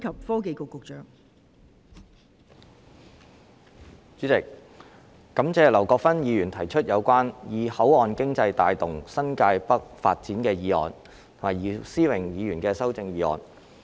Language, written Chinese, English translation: Cantonese, 代理主席，感謝劉國勳議員提出"以口岸經濟帶動新界北發展"議案和姚思榮議員的修正案。, Deputy President I would like to thank Mr LAU Kwok - fan for proposing the motion on Driving the development of New Territories North with port economy and Mr YIU Si - wing for proposing the amendment